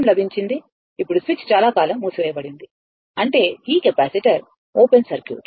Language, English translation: Telugu, Now, switch is closed for long time; that mean this capacitor is open circuited, right